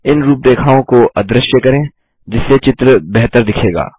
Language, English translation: Hindi, Lets make these outlines invisible so that the picture looks better